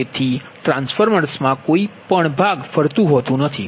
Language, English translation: Gujarati, so there is no, no rotating part in the transformer